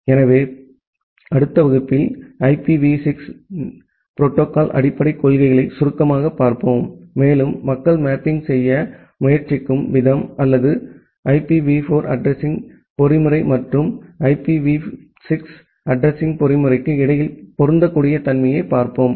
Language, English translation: Tamil, So, in the next class, we will briefly look into the basic principles of IPv6 protocol and look in to the way people are trying to make a mapping or make a compatibility between the IPv4 addressing mechanism and the IPv6 addressing mechanism